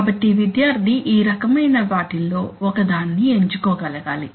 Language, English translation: Telugu, So the student should be able to select one of these types